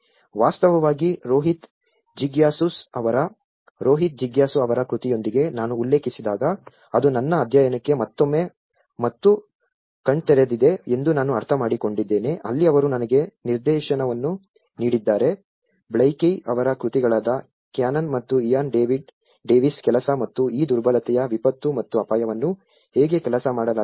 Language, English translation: Kannada, In fact, Rohit Jigyasu’s, when I referred with that Rohit Jigyasu’s work, I am mean that is an again and eye opener for my study where, he have given me a direction that a lot of literature from Blaikie’s work, Canon and Ian Davis work and how these vulnerability disaster and hazard have been worked out